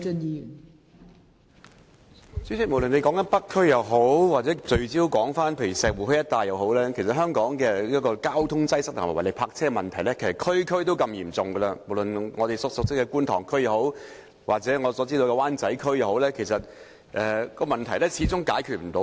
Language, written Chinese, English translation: Cantonese, 代理主席，無論是北區或集中石湖墟一帶，其實香港各區的交通擠塞和違例泊車問題都十分嚴重，不論是我們熟悉的觀塘區或灣仔區，問題一直未能解決。, Deputy President traffic congestion and illegal parking are actually very serious problems in various districts of Hong Kong including Kwun Tong our familiar district and Wan Chai . So far the problems remain unresolved